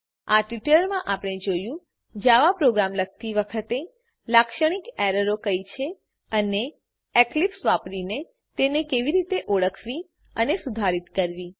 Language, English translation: Gujarati, In this tutorial we have seen what are the typical errors while writing a Java program and how to identify them and rectify them using Eclipse